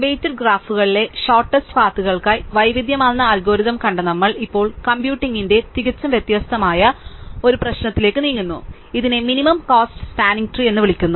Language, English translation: Malayalam, Having seen a variety of algorithms for shortest paths on weighted graphs, we now move to a completely different problem that of computing, what is called Minimum Cost Spanning Tree